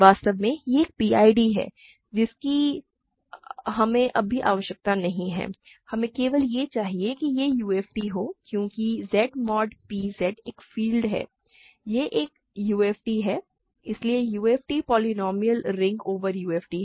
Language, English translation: Hindi, In fact, it is a PID which we do not need for now, we only need that it is a UFD because Z mod p Z is a field; it is a UFD, so any polynomial ring in over a UFD is UFD